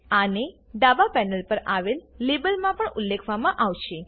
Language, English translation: Gujarati, This will also be mentioned in the Label on the left panel